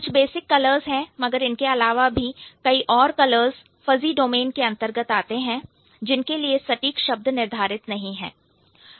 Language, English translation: Hindi, There are some basic colors, but besides that, there could be many other colors which are in the fuzzy domain, which cannot have exact words for them